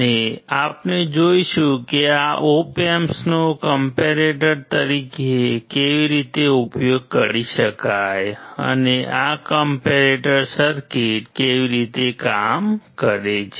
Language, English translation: Gujarati, And we will see how this op amp can be used as a comparator and how this comparator circuit works